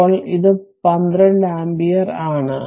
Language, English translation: Malayalam, Now, this is 12 ampere